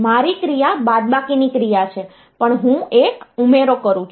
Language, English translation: Gujarati, So, my operation is a subtract operation, but I do an addition